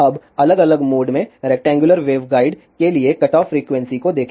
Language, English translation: Hindi, Now, let us see cutoff frequencies for rectangular waveguide in different modes